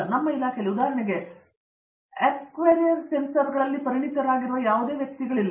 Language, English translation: Kannada, In our department, for example, there is no person who is expert in the actuarial sensors